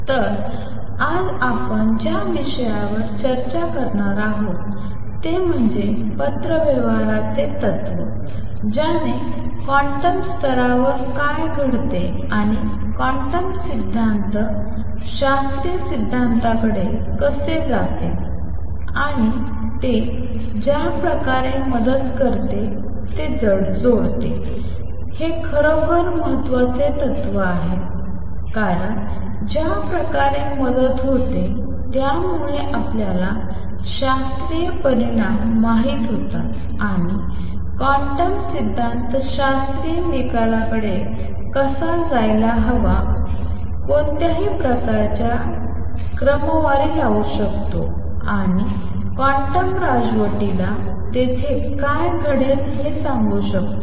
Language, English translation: Marathi, So, what we are going to discuss today is the correspondence principle that made a connection of what happens at quantum level and how quantum theory goes over to classical theory and the way it helped, it is a really important principle because the way it helps is that once we knew the classical results and how quantum theory should approach the classical result, one could sort of backtrack and extrapolate to the quantum regime what would happen there